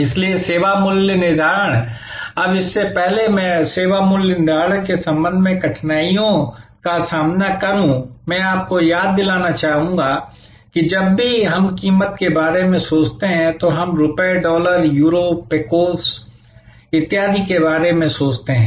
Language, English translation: Hindi, So, service pricing, now before I get to the difficulties with respect to service pricing, I would like to remind you that whenever we think of price, we think of rupees, dollars, Euros, Pecos and so on